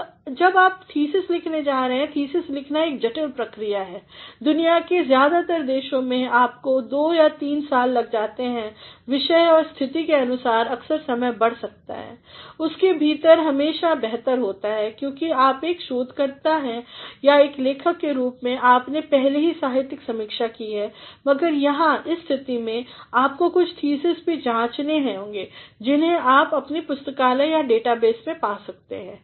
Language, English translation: Hindi, Now, when you are going to write a thesis, thesis writing is a complex process in most countries of the world you are given two or three years or depending upon the subject and the exigency of the situation sometimes time may exceed, within it is always better, because you as a researcher or as a writer you have already done a literature survey, but here, in this case, you must also examine some thesis which you can find in your library or in the database